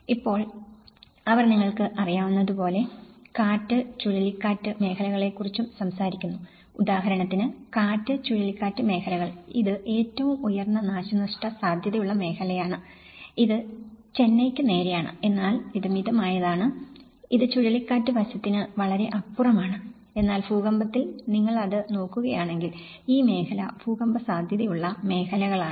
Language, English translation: Malayalam, Now, they also talk about the you know, the cyclone zones; the wind and cyclone zones, for instance, this is the most high damage risk zone which is more towards the Chennai and this is the moderate and this is much more beyond the cyclone aspect but whereas, in the earthquake if you look at it that is where this zone is more of an earthquake vulnerable zones